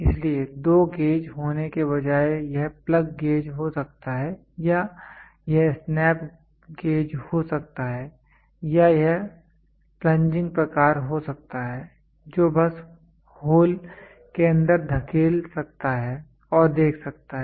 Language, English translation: Hindi, So, rather than having two gauges it can be plug gauge or it can be snap gauge or it can be plunging type which can just push inside the hole and see